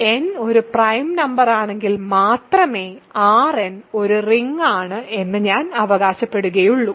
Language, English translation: Malayalam, So, here R n is a ring, I claim if and only if n is a prime number